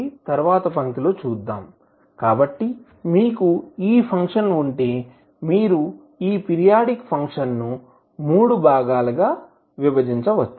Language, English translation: Telugu, Let’ us see in the next line, so if you have this particular function you can divide this the periodic function into three parts